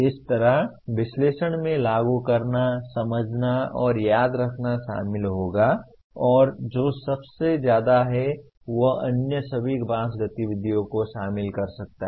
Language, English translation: Hindi, Similarly analyze will involve apply, understand and remember and the highest one is create can involve all the other 5 activities